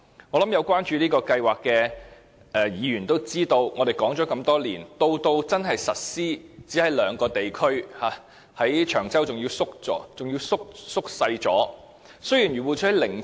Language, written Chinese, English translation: Cantonese, 我相信有關注這項計劃的議員都知道，雖然我們已討論多年，但真正實施的地區卻只有兩個，而長洲的範圍更縮減了。, I think Members who are concerned about this programme should know that although the issue has been discussed for many years the programme has only been implemented in two districts and the coverage in Cheung Chau has even been reduced